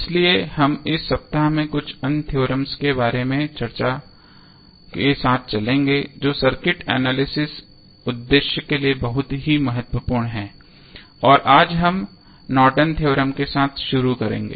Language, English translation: Hindi, So, we will continue in this week with few other theorems which are very important for the circuit analysis purpose and we will start with Norton's Theorem today